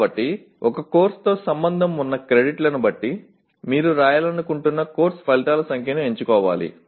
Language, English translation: Telugu, So depending on the credits associated with a course one has to choose the number of course outcomes that you want to write